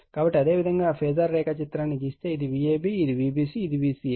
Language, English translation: Telugu, So, similarly if you draw the phasor diagram, this is your V ab, this is V bc, this is vca